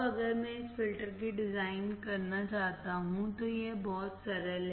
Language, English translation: Hindi, Now, if I want to design this filter, it is very simple